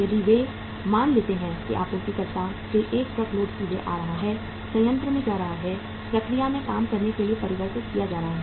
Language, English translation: Hindi, If they assume a situation straightaway a truckload is coming from the supplier, going to the plant, being converted to work in process